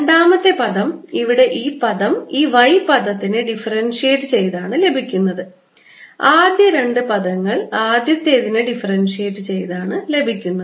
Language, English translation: Malayalam, the second term, this term here comes from the differentiation of this y term and a first two terms come from the differentiation of the first